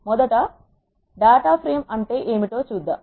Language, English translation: Telugu, Let us first look at what data frame is